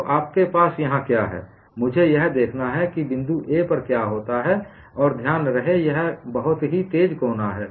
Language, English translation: Hindi, So, what you have here is, I have to look at what happens at point A; and mind you, this is a very sharp corner